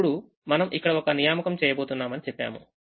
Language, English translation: Telugu, now we say that we are going to make an assignment here